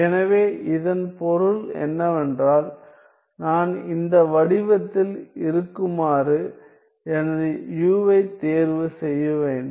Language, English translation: Tamil, So, which means that if I were to choose my u to be of this form